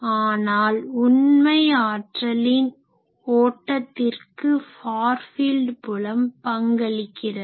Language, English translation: Tamil, So, far fields are the vehicle for transportation of energy